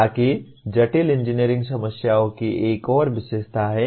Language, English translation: Hindi, So that is another feature of complex engineering problems